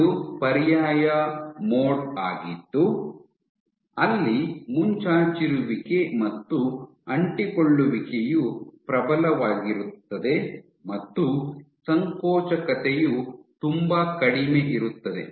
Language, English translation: Kannada, This is an alternate mode where protrusion and adhesion are dominant and contractility is very low